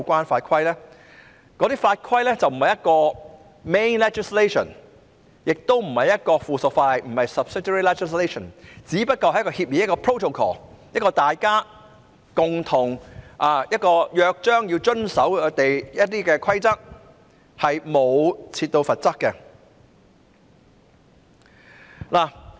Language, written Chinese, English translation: Cantonese, 此外，英國和澳洲等地的有關法規並不是主體法例，亦不是附屬法例，只不過是一種協議，即大家須共同遵守的約章或規則，當中是沒有罰則的。, Moreover in countries such as Britain and Australia their laws or regulations in this respect are neither main legislation nor subsidiary legislation but only protocols or in other words they are only charters or rules for compliance by the citizens and they do not provide for any penalty